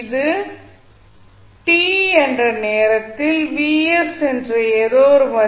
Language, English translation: Tamil, So, what will happen at time t is equal to 0